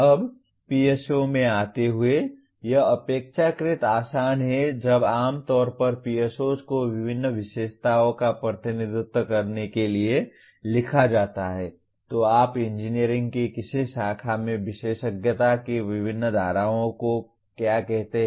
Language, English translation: Hindi, Now coming to the PSO, this is relatively easy when normally PSOs are written to represent various features of a, what do you call various streams of specialization in a given branch of engineering